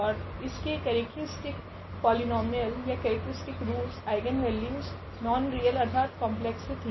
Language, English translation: Hindi, And its characteristic polynomial or I mean the characteristic roots the eigenvalues were non real so the complex